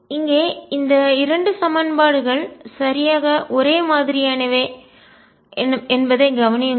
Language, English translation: Tamil, Notice that the 2 equations are exactly the same